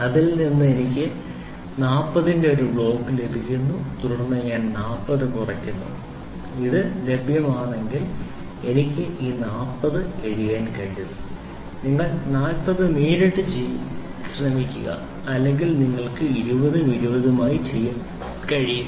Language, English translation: Malayalam, So, then I get a block of 40 then I subtract 40 I can be write down this 40 if it is available you try to do 40 directly or you can do it as 20 and 20